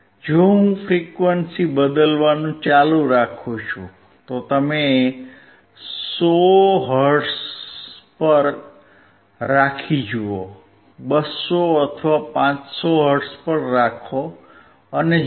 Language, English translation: Gujarati, If I keep on changing the frequency, you see keep on 100 hertz; 200 or 500 hertz